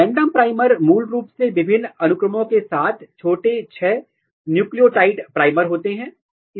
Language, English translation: Hindi, Random primers are basically small six nucleotide long single nucleotide primer with different sequences